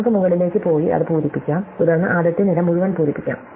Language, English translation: Malayalam, So, we can go up and fill that and then we can fill up the entire first column